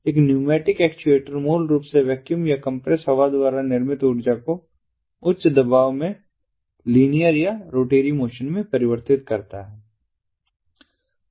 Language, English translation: Hindi, a pneumatic actuator basically converts the energy formed by vacuum or compressed air at high pressure into either linear or rotatory motion